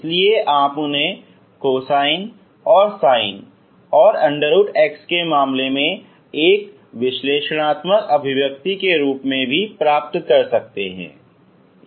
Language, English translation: Hindi, So you can also get them as a nice expressions an expressions in terms of cosines and and root x, ok